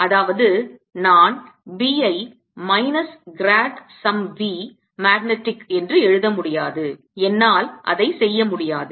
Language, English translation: Tamil, that means i also cannot write b as minus grad, some v magnetic